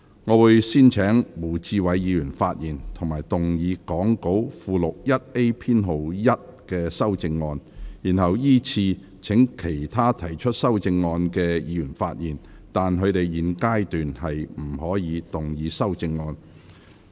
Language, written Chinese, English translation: Cantonese, 我會先請胡志偉議員發言及動議講稿附錄 1A 編號1的修正案，然後依次請其他提出修正案的議員發言；但他們在現階段不可動議修正案。, I will first call upon Mr WU Chi - wai to speak and move Amendment No . 1 set out in Appendix 1A to the Script . Then I will call upon other amendment proposers to speak in sequence but they may not move their amendments at this stage